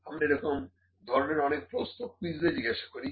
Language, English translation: Bengali, So, we will put some questions in the quiz as well